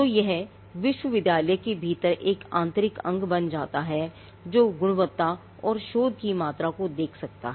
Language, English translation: Hindi, So, this becomes an internal organ within the university which can look at the quality and the quantity of research